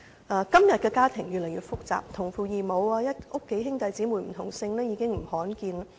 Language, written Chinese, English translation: Cantonese, 現今的家庭越來越複雜，同父異母、家中兄弟姊妹不同姓的情況並不罕見。, Families nowadays have become increasingly complicated . Situations of children having the same father but different mothers and siblings of different surnames in the same family are not uncommon